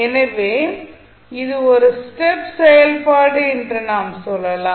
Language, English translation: Tamil, So, you will simply say it is a step function